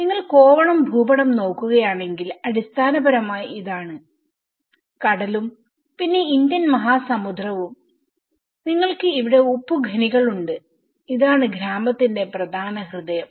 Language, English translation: Malayalam, If you look at the Kovalam map and this is basically, the sea and then Indian Ocean and you have the salt mines here and this is the main heart of the village